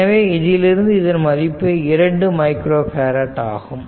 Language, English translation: Tamil, So, this equivalent of this 4 micro farad